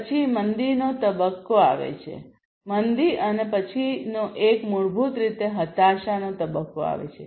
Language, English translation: Gujarati, Then comes the recession phase, recession, and the next one is basically the depression